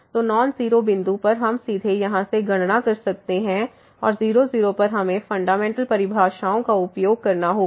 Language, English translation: Hindi, So, at non zero point that non zero point, we can directly compute from here and at we have to use the fundamental definitions